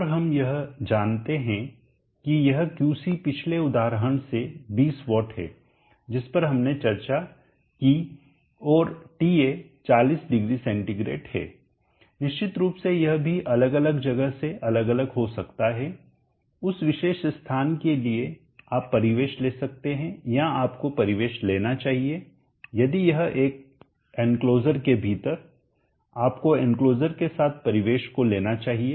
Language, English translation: Hindi, And we know this is Qc is 20 watts from the previous example that we discussed and Ta is 400 centigrade of course this can also vary from place to place for the particular place to put take the ambient or you should take the ambient if it is within an enclosure you should take an ambient with the enclosure normally if the component is within the enclosure the worst case ambient within the enclosure is taken as 50o